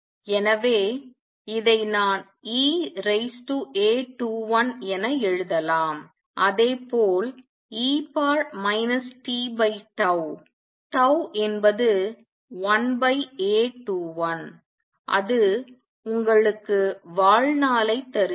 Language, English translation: Tamil, So, this because I can write this as e raise to A 21 as also e raise to minus t over tau where tau is 1 over A 21 and that gives you the lifetime